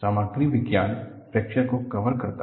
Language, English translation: Hindi, The Material Science covers fracture